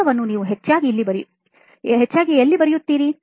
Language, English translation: Kannada, Where all do you write those mostly